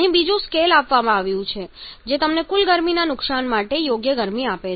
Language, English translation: Gujarati, Here another scale is given which gives you the sensible heat to the total heat loss